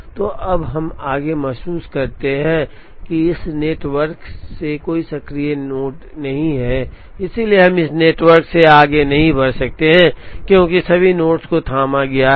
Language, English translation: Hindi, So now, we are realized, that there is no active node in this network, so we cannot proceed any more from this network, because all the nodes have been fathomed